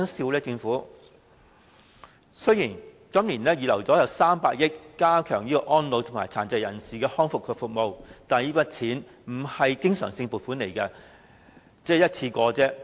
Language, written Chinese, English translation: Cantonese, 雖然政府今年預留了300億元加強安老和殘疾人士康復服務，但這筆錢並非經常性而是一次性撥款。, Is it being serious when saying so? . The Government has earmarked 30 billion this year for strengthening elderly services and rehabilitation services for persons with disabilities but this is a one - off provision rather than a recurrent allocation